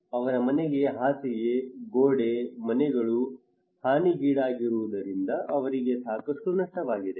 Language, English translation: Kannada, Their house starting from their beds, walls, their houses were damaged so they have a lot of losses